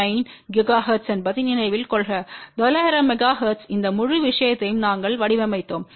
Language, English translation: Tamil, 9 gigahertz, and because we had design this whole thing for nine hundred megahertz